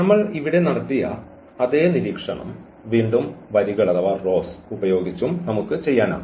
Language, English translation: Malayalam, And again, the same observation which we have done here with the columns we can do with the rows as well